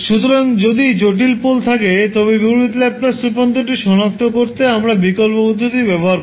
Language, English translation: Bengali, So, we will use an alternative approach to find out the inverse Laplace transform in case we have complex poles